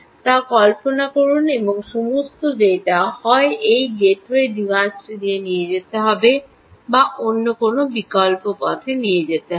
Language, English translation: Bengali, huge amount of data, and all the data will either have to pass through this gateway device or pass through another alternate route